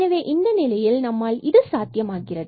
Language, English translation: Tamil, So, in this case perhaps it is possible